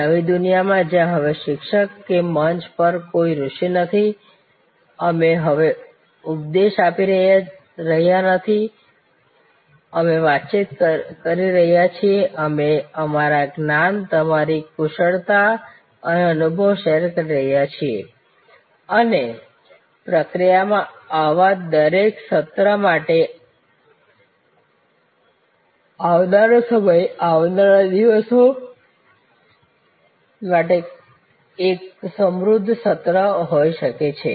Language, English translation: Gujarati, This is the new world, where a teacher is no longer, a sage on the stage, we are no longer preaching, we are interacting, we are sharing our knowledge and your bringing, your expertise and experience and in the process each such session for times to come, for days to come can be an enriched session